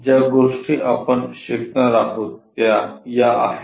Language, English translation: Marathi, These are the things what we are going to learn